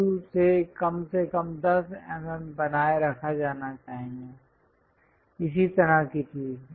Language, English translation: Hindi, At least 10 mm from the view has to be maintained, kind of thing